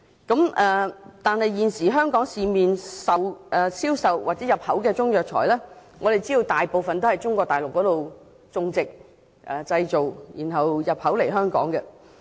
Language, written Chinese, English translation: Cantonese, 可是，現時在香港市面銷售的中藥材，大部分在中國內地種植和製造，然後再進口香港。, However most of the Chinese herbal medicines currently available in the market in Hong Kong were planted and manufactured in Mainland China and then imported into Hong Kong